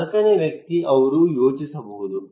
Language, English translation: Kannada, The fourth person, he may think